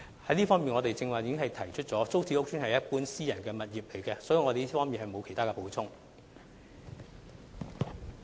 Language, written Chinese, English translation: Cantonese, 在這方面，我剛才已說明，租置屋邨與一般私人物業無異，所以我在這方面並沒有補充。, As I said just now TPS estates are no different to private properties in general hence I have nothing to add in that respect